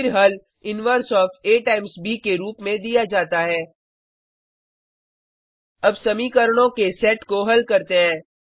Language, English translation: Hindi, The solution is then given as inverse of A times b Let us solve the set of equations